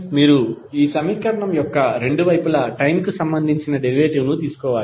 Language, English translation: Telugu, You have to simply take the derivative of both side of the equation with respect of time